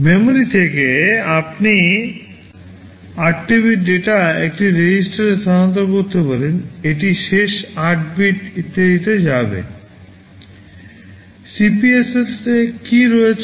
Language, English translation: Bengali, From memory you can transfer 8 bits of data into a register, it will go into the last 8 bits, etc